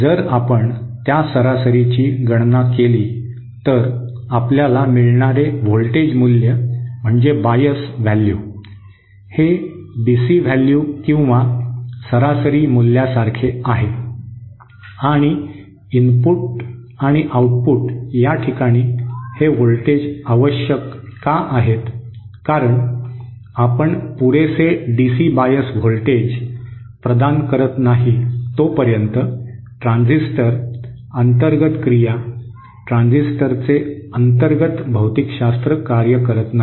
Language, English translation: Marathi, If you compute that average then the voltage value that you get is the bias value it is like the DC value or the average value and the reason why these voltages are necessary at the input and output is because unless you provide sufficient DC bias voltage, the transistor, the internal action, the internal physics of the transistor would not work